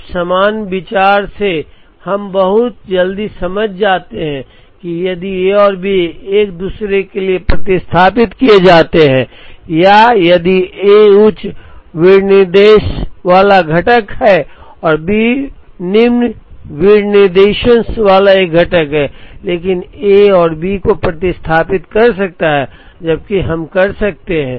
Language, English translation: Hindi, Now, by the same idea we understand very quickly that, if A and B are substituted for each other or if A is a component with the higher specification and B is a component with the lower specification, but A can substitute B